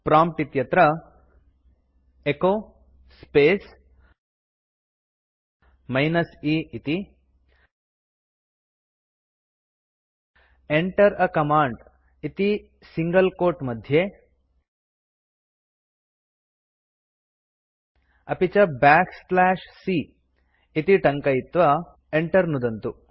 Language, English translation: Sanskrit, Type at the prompt echo space minus e within single quote Enter a command back slash c and press enter